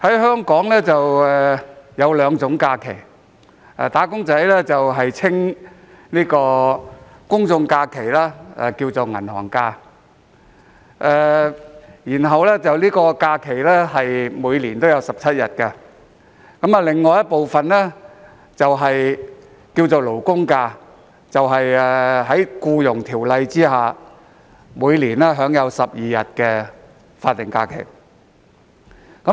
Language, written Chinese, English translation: Cantonese, 香港有兩種假期，"打工仔"將公眾假期稱為"銀行假"，每年有17日，並將另一種假期稱為"勞工假"，即在《僱傭條例》下每年12日的法定假日。, There are two kinds of holidays in Hong Kong . Wage earners refer to general holidays as bank holidays and there are 17 days a year whereas the other kind of holiday is referred to as labour holidays ie . the 12 days of statutory holidays each year provided under the Employment Ordinance